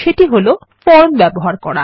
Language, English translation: Bengali, And that, is by using Forms